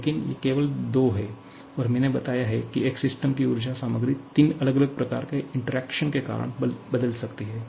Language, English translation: Hindi, But these are only two, and I have told that the energy content of a system can change because of 3 different kinds of interaction